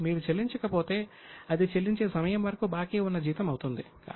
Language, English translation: Telugu, But if you don't pay, then till the time you pay, it becomes an outstanding salary